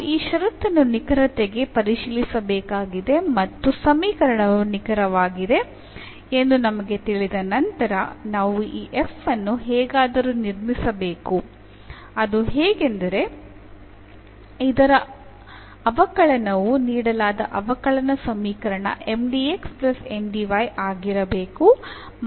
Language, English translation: Kannada, So, we need to check this condition for the exactness, and once we know that the equation is exact then we have to construct this f somehow whose differential is the given differential equation Mdx plus Ndy